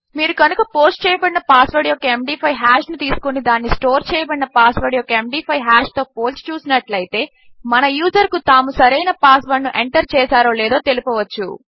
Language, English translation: Telugu, So if you take the MD5 hash of the posted password and compare that to the MD5 hash of the stored password, we can let our user know if theyve entered the correct or right password